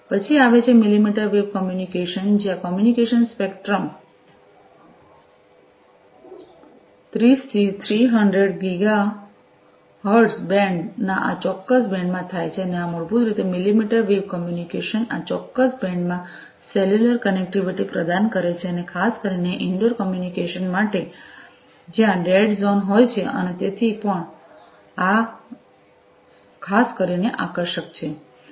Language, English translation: Gujarati, Then comes the millimetre wave communication, where the communication happens in this particular band of the spectrum 30 to 300 Giga hertz band and this basically millimetre wave communication offer cellular connectivity in this particular band, and particularly for indoor communication, where there are dead zones and so on this is also particularly attractive